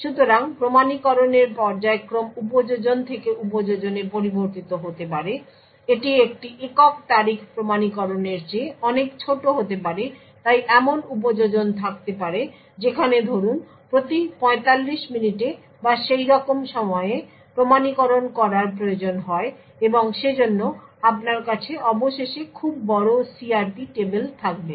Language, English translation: Bengali, So the periodicity of the authentication would vary from application to application, it could be much smaller than authenticating a single date so there could be application where you require authentication every say 45 minutes or so and therefore you would end up with very large CRP tables